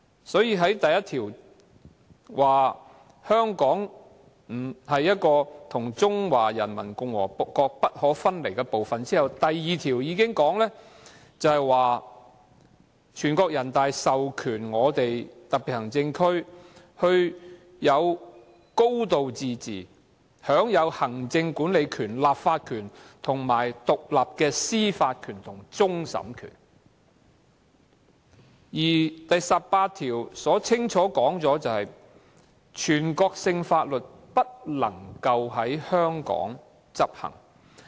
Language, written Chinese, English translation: Cantonese, 所以，《基本法》第一條訂明，香港特別行政區是中華人民共和國不可分離的部分；第二條訂明，全國人民代表大會授權香港特別行政區實行"高度自治"，享有行政管理權、立法權、獨立的司法權和終審權；而第十八條亦清楚訂明，全國性法律不能在香港執行。, Therefore Article 1 of the Basic Law stipulates that the Hong Kong Special Administrative Region is an inalienable part of the Peoples Republic of China; Article 2 stipulates that the National Peoples Congress authorizes the Hong Kong Special Administrative Region to exercise a high degree of autonomy and enjoy executive legislative and independent judicial power including that of final adjudication; and Article 18 clearly stipulates that national laws shall not be applied in Hong Kong